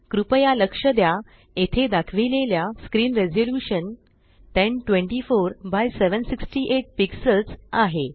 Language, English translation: Marathi, Please note that the screen resolution shown here is 1024 by 768 pixels